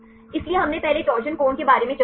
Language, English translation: Hindi, So, we discussed earlier about torsion angle